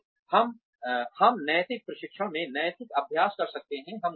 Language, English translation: Hindi, We can have ethics training, in an ethical practice